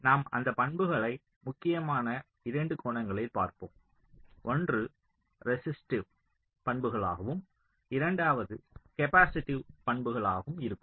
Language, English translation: Tamil, so mainly we shall be looking at those properties from two angles: one would be the resistive properties and the second would be the capacitive properties